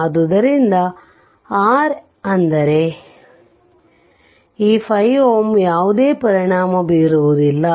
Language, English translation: Kannada, So, R that means, this 5 ohm has no effect right